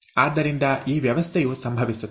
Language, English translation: Kannada, So this arrangement happens